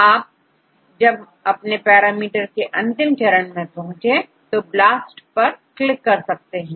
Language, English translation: Hindi, And finally, if you are with the parameters click on BLAST